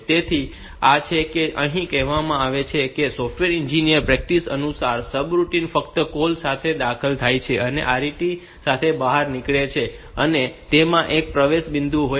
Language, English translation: Gujarati, So, this is what is said here that according to software engineering practice, a subroutine is only entered with a call and exited with a with an RET, and has a single entry point